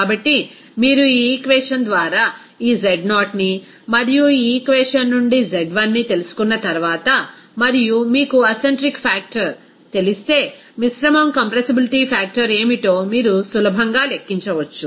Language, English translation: Telugu, So, once you know this Z0 by this equation and Z1 from this equation and if you know the acentric factor, then you can easily calculate what should be the mixture compressibility factor